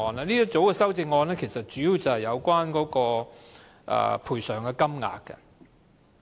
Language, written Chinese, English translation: Cantonese, 這一組修正案主要是有關賠償金額。, This group of amendments is mainly concerned with the amount of compensation